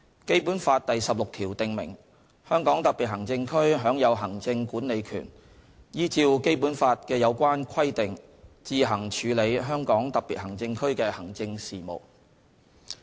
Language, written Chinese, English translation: Cantonese, 《基本法》第十六條訂明，香港特別行政區享有行政管理權，依照《基本法》的有關規定自行處理香港特別行政區的行政事務。, Article 16 of the Basic Law stipulates that HKSAR shall be vested with executive power and shall on its own conduct the administrative affairs of HKSAR in accordance with the relevant provisions of the Basic Law